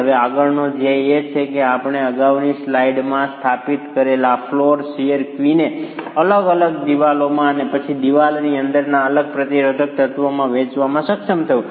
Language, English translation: Gujarati, Now, the next goal is to be able to apportion this floor shear QI that we established in the previous slide to the different walls themselves and then to the separate resisting elements within the wall